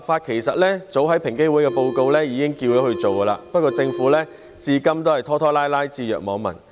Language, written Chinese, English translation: Cantonese, 其實平等機會委員會的報告早已經要求政府研究立法，但政府至今仍然拖拖拉拉，置若罔聞。, In fact the report of the Equal Opportunities Commission has long since requested the Government to conduct such a study but the Government has been procrastinating and turning a deaf ear to it